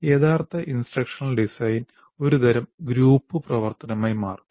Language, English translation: Malayalam, Now what happens, the actual instruction design becomes a kind of a group activity